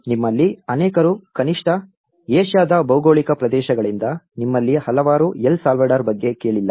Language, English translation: Kannada, So many of you at least from the Asian geographies, many of you may not have heard of El Salvador